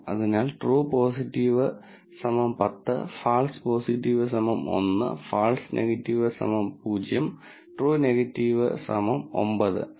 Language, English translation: Malayalam, So, true positive equals 10, false positive equals 1, false negative equals 0 ,true negative equals 9